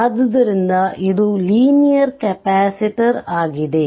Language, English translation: Kannada, So, it is a linear capacitor